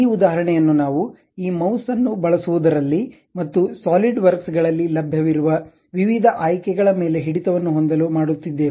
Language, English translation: Kannada, These example we are doing it just to have a grip on using this mouse, and variety options whatever available at solid works